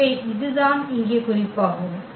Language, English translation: Tamil, So, that is the point here